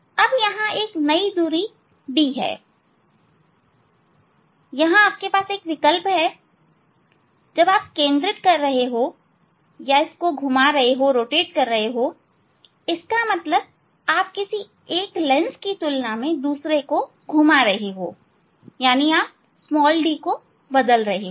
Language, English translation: Hindi, Now, here a new hand this d is there, so there is option here you are when you are focusing you are rotating; that means, you are moving one of the lens, you are moving one of the lens related to the other one, so you are changing the d